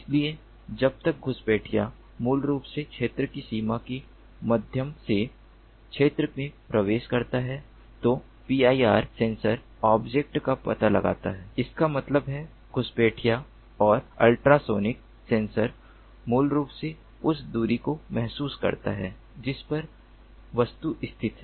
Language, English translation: Hindi, so when an intruder basically enters the field through the boundary of the field, the pir sensor detects the object, that means the intruder, and the ultrasonic sensor basically senses the distance at which the object is located